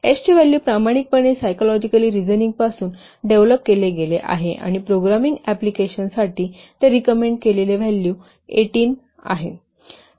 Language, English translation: Marathi, The value of S has been empirical developed from psychological reasoning and it is recommended value and its recommended value for programming application is 18